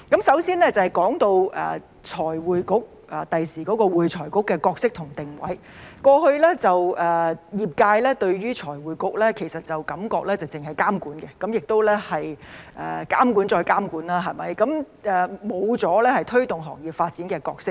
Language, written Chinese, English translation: Cantonese, 首先，說到未來的會計及財務匯報局的角色及定位，過去業界感覺財務匯報局只是監管，即監管再監管，沒有推動行業發展的角色。, First of all regarding the role and positioning of the future Accounting and Financial Reporting Council AFRC the profession had the impression that the Financial Reporting Council FRC was only a regulator through and through without playing any role in promoting the development of the profession